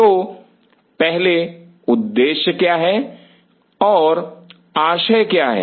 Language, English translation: Hindi, So, first what is the objective and what is the purpose